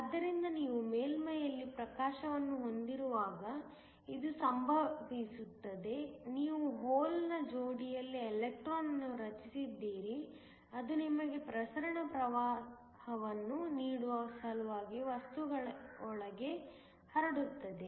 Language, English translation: Kannada, So, this is what happens when you have illumination at the surface, you have electron in hole pair generated which then diffuse within the material in order to give you diffusion current